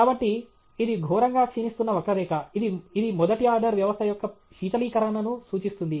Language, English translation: Telugu, So, it’s an exponentially decaying curve, which have cooling of a first order system okay